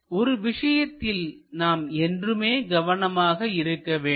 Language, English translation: Tamil, One thing we have to be careful always